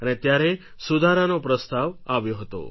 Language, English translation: Gujarati, And hence this reformed proposal was introduced